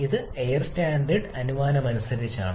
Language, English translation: Malayalam, This is as per the air standard assumption